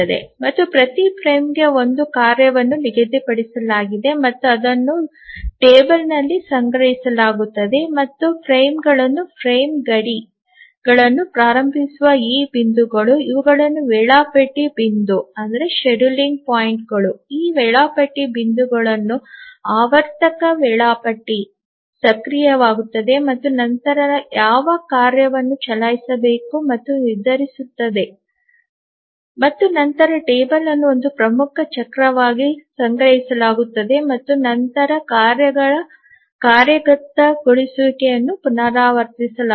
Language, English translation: Kannada, And to each frame a task is assigned and that is stored in a table and these points at which the frames start the frame boundaries these are the scheduling points The cyclic scheduler becomes active at this scheduling points and then decides which task to run and then the table is stored for one major cycle and then the task execution is repeated